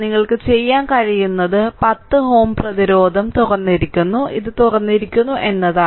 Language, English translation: Malayalam, So, what you can do is that look the 10 ohm resistance is open this has been open right